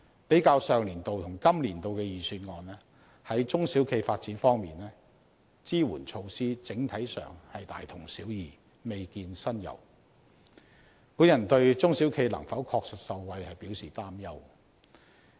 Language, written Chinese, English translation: Cantonese, 比較上年度與今年度的預算案，在中小企發展方面，支援措施在整體上是大同小異，未見新猷，我對中小企能否確實受惠表示擔憂。, Comparing with the Budget of the previous financial year the supportive measures for SMEs this year are more or less the same and no new initiative is introduced . I am concerned whether SMEs can really get any benefits at all